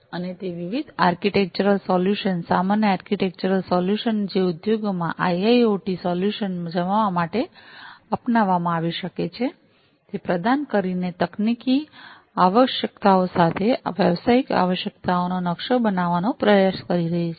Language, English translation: Gujarati, And it is trying to map the business requirements with the technical requirements by providing different, different architectural solutions, common architectural solutions, which could be adopted in order to deploy IIoT solutions in the industries